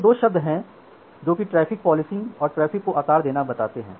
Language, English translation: Hindi, So, this is the difference between traffic policing and traffic shaping